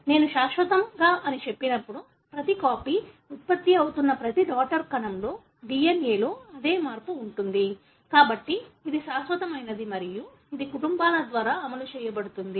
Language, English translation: Telugu, When I say permanent, that every copy, every daughter cell that is being produced would have the same change in it, in the DNA; so, therefore it is permanent and it can run through families